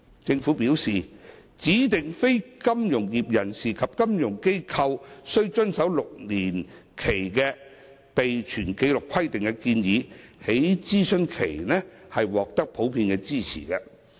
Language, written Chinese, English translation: Cantonese, 政府表示，指定非金融業人士及金融機構須遵守6年期的備存紀錄規定的建議，在諮詢期間獲得普遍支持。, The Government has advised that the proposal of requiring DNFBPs and FIs to maintain customer records for six years has received general support during the consultation